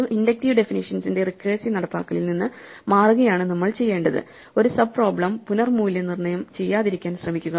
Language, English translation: Malayalam, So, what we want to do is move away from this naive recursive implementation of an inductive definition, and try to work towards never reevaluating a sub problem